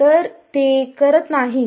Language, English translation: Marathi, So, they do not